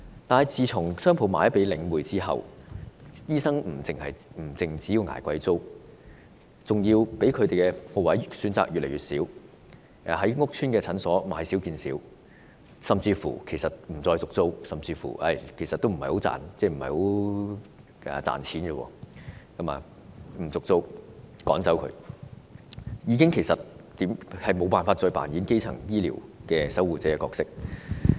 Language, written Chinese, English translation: Cantonese, 可是，商鋪賣給領匯之後，醫生不單要捱貴租，而且可供選擇的鋪位更越來越少，於是屋邨診所越來越少，甚至不獲續租，可能因為這個行業不太賺錢，所以不獲續租或被趕走，不能再擔當基層醫療守護者的角色。, But after the shop spaces were sold to The Link REIT not only doctors have to pay expensive rents the availability of shop spaces as choices has been dwindling . As a result there are less and less clinics in PRH estates and even their tenancies are not renewed probably because this industry is far from lucrative . Therefore their tenancies are not renewed or they are driven away and those doctors cannot play the gate - keeping role as primary health care providers